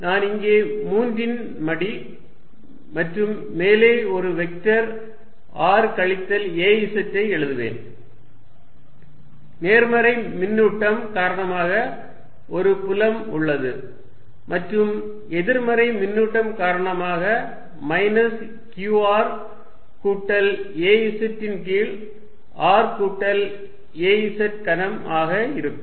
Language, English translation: Tamil, I will write a cube here and a vector r minus ‘az’ on the top, there is a field due to the positive charge and that due to negative charge is going to be minus q r plus ‘az’ over r plus ‘az’ cubed